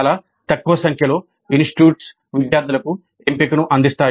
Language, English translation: Telugu, A very small number of institutes do offer a choice to the students